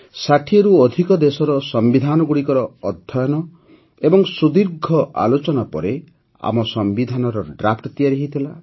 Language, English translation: Odia, The Draft of our Constitution came up after close study of the Constitution of over 60 countries; after long deliberations